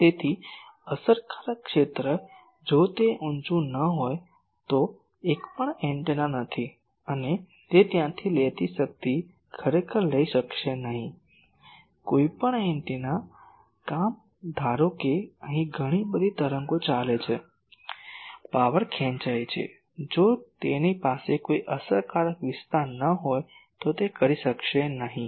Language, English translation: Gujarati, So, effective area if it is not high, then it is not a at all antenna and, it would not be able to take the power take from there actually, any antennas job is suppose there are lot of here waves going on so, to extract power so, that it would not be able to do, if it does not have a sizeable effective area